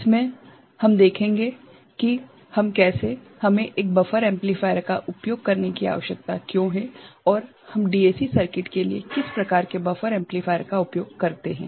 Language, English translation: Hindi, In this, we shall see that, how we why we need to use a buffer amplifier and what sort of buffer amplifier we use for a DAC circuit